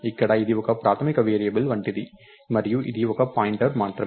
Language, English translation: Telugu, So here this is like a basic variable and this is only a pointer